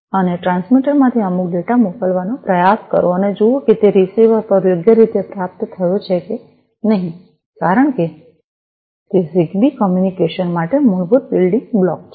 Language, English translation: Gujarati, And try to send some data from the transmitter and see whether it has been correctly received at the receiver or not, because that is the basic building block for ZigBee communication